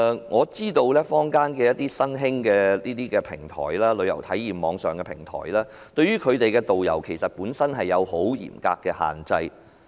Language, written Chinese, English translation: Cantonese, 我知道坊間一些新興的旅遊體驗網上平台，對其導遊有很嚴格的要求。, I know some online platforms in the market providing new travel experience tours have very strict requirements on their tourist guides